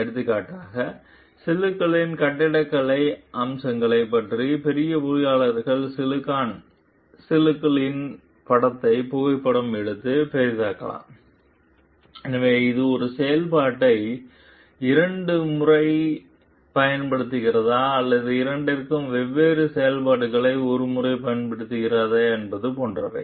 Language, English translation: Tamil, For example, engineers might photograph and enlarge the picture of silicon chips to learn about the architectural features of the chips, so, such as whether it uses 1 function twice or 2 different functions once